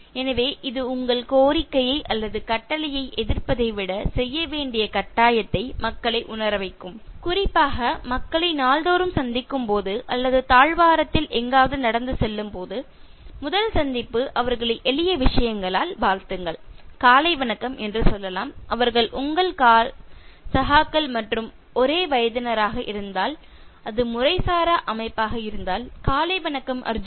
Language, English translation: Tamil, So that actually will make the people feel obliged to do, rather than resisting your demand or command and when you see people especially while meeting in day to day walk somewhere in the corridor, first meeting, so just greet them so simple thing like wishing them, and if they are your colleagues and of same age group and if it is an informal setting you can say “Good Morning” by adding the name so “Good Morning Arjun